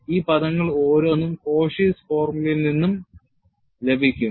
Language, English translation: Malayalam, And each one of these terms, would be obtained from your Cauchy's formula